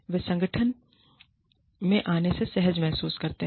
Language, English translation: Hindi, They feel comfortable, coming to the organization